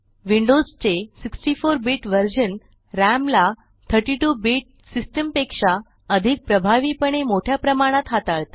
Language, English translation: Marathi, The 64 bit version of Windows handles large amounts RAM more effectively than a 32 bit system